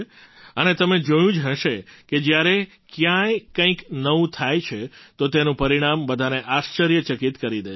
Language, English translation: Gujarati, And you must have seen whenever something new happens anywhere, its result surprises everyone